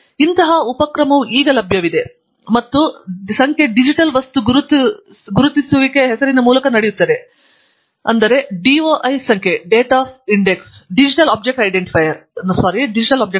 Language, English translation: Kannada, And, such an initiative is now available and the number is going by a name called Digital Object Identifier, namely, the DOI number